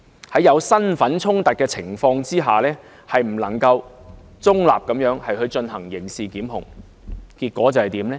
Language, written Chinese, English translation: Cantonese, 在身份出現衝突的情況下，律政司司長不能夠中立地進行刑事檢控，結果會怎樣呢？, What will happen if the Secretary for Justice cannot carry out criminal prosecutions impartially in the face of a role conflict?